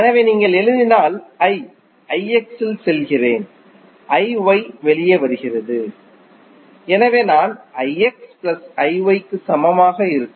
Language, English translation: Tamil, So, if you write I is going in I X and I Y are coming out, so I would be equal to I X plus I Y